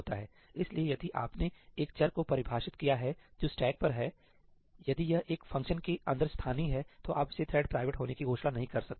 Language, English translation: Hindi, So, if you defined a variable which is on the stack, if it is local inside a function, then you cannot declare it to be thread private